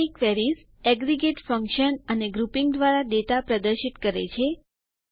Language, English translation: Gujarati, Summary queries show data from aggregate functions and by grouping